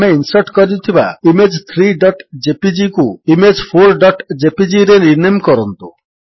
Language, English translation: Odia, Lets rename the image Image 3.jpg, that we inserted in the file to Image4.jpg